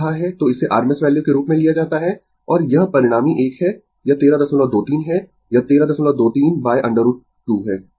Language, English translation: Hindi, So, it is taken as rms value, and this this is resultant one, it is 13